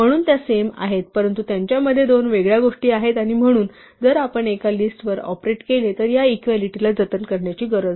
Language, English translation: Marathi, So, they happen to have the same value, but they are two different things and so, if we operate on one it need not preserve this equality any more